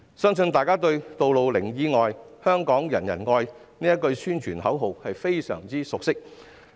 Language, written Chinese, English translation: Cantonese, 相信大家對"路上零意外，香港人人愛"這句宣傳口號也相當熟悉。, I believe we are all rather familiar with the slogan Zero Accidents on the Road Hong Kongs Goal